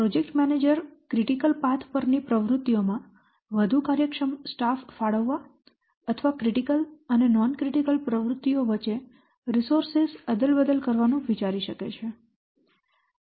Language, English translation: Gujarati, The project manager may consider allocating more efficient staff to activities on the critical path or swapping resources between critical and non critical activities